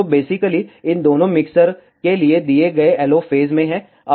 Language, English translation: Hindi, So, basically the LO given to both these mixtures are in phase